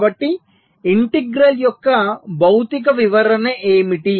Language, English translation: Telugu, so so what is the physical interpretation of the integral